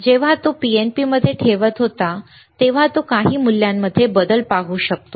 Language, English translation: Marathi, When he was placing in NPN, he could see the change in some value